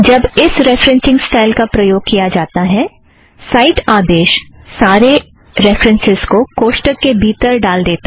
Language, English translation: Hindi, When this referencing style is used, the cite command puts the entire reference within the brackets